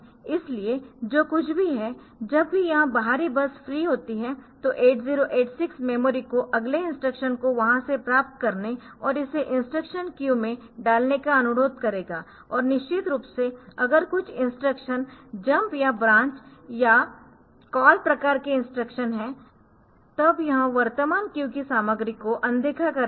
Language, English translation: Hindi, So, whatever it is so whenever these external bus is free 8086 will request the memory to get the next instruction from there and put it on to the instruction queue and of course, if the some instruction is a jumped or branch type of instructions your fall type of instructions then it will ignore the content of current queue